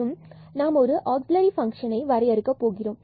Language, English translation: Tamil, And we just define in an auxiliary function